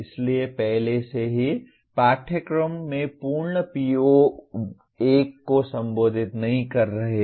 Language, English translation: Hindi, So already we are not addressing the full PO1 in the courses